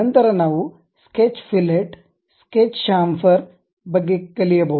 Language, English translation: Kannada, Then we can learn about Sketch Fillet, Sketch Chamfer